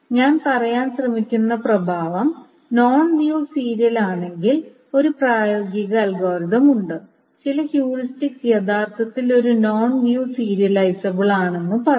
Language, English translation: Malayalam, So what is the effect of what I'm trying to say is that given a schedule, if it is non view serializable, there is a practical algorithm, some heuristics will actually say it is non view serializable